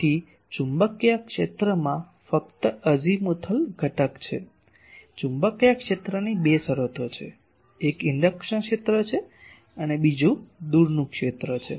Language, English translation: Gujarati, So, magnetic field is only having azimuthal component; magnetic field has two terms, one is induction field another is far field